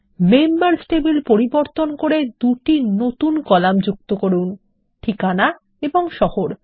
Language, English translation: Bengali, Here is an assignment Alter the Members table to add two new columns Address and City